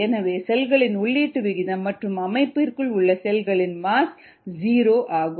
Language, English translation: Tamil, so for, therefore, the rate of input of cells, mass of cells, into the system is zero